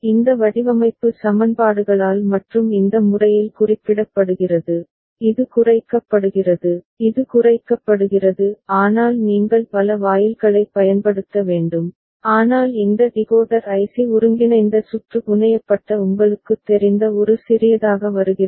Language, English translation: Tamil, By this design equations and is represented in this manner, this is minimized, this is minimized; but you have to use many gates, but this decoder is comes in a compact you know IC integrated circuit fabricated